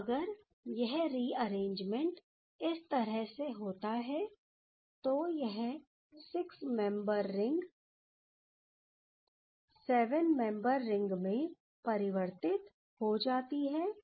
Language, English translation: Hindi, So, if this happens the due to this rearrangement, the this rings 6 membered ring becomes the 7 membered ring